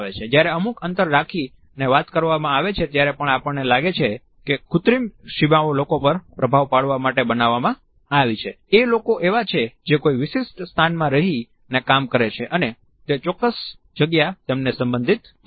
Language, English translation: Gujarati, Even when the space is shared we find that artificial boundaries are created to give an impression to the people, who are working in the shared space to understand a particular space as belonging to them